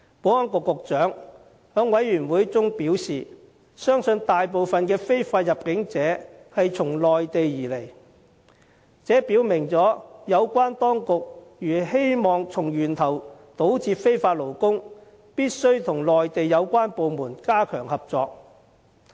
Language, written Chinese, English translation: Cantonese, 保安局局長在事務委員會會議上表示，相信大部分非法入境者從內地而來，這表明有關當局如希望從源頭堵截非法勞工，就必須與內地有關部門加強合作。, As indicated by the Secretary for Security at the Panel meeting it is believed that most illegal entrants are from the Mainland . This clearly shows that if the authorities want to combat illegal workers at source they must step up cooperation with the relevant Mainland departments